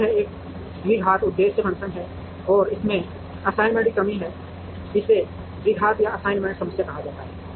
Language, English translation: Hindi, So, it has a quadratic objective function, and it has the assignment constraints it is called the quadratic assignment problem